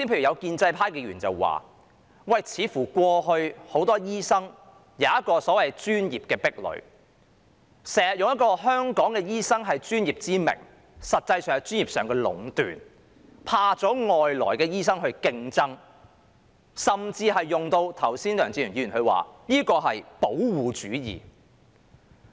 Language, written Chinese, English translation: Cantonese, 有建制派議員剛才指出，過去似乎很多醫生均有一個所謂的專業壁壘，經常以"香港醫生是專業"為名，實際上是專業上的壟斷，害怕外來醫生的競爭，甚至梁志祥議員剛才說這是"保護主義"。, Certain Members from the pro - establishment camp pointed out just now that in the past many doctors have seemingly set up the so - called professional barriers often claiming that Hong Kong doctors are professionals which was in fact professional monopoly and they were afraid of competition from overseas doctors . Mr LEUNG Che - cheung even called this protectionism